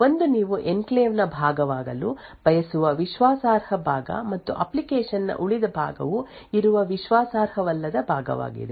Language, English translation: Kannada, One is the trusted part which you want to be part of the enclave and also the untrusted part where the remaining part of the application is present